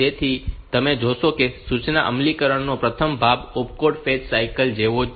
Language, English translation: Gujarati, So, you see the first part of the instruction execution is same as the opcode fetch cycle